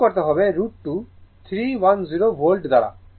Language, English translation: Bengali, You have to multiply by root 2 310 volt